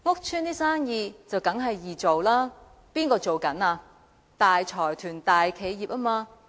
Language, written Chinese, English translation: Cantonese, 這是當然的，因為經營的都是大財團、大企業。, It is a matter of course for businesses there are operated by large consortia and large enterprises